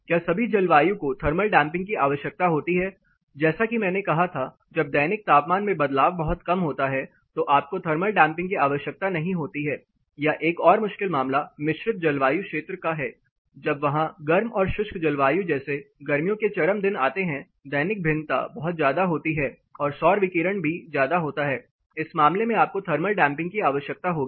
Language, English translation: Hindi, Whether all the climate require thermal damping as I said when the diurnal temperature variation are much lower you may not need thermal damping at all or another tricky case is the case of composite climates there for the extreme dry spells of summer where have more or less it is mimicking the hot dry climate diurnal variation are much high solar radiation is also high, in that case you will require thermal damping